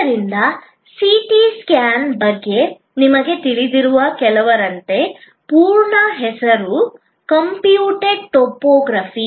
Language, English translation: Kannada, So, like very of few you know about CT scan the full name being computed tomography